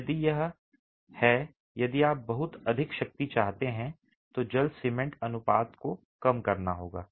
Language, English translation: Hindi, If it is, if you want very high strength, water cement ratio has to be reduced